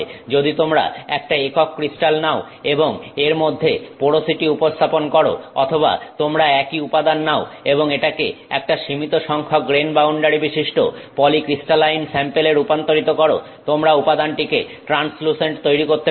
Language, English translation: Bengali, If you take a single crystal and introduce porosity in it or you take the same material and make it a polycrystalline sample with some limited number of grain boundaries in it you can make the material translucent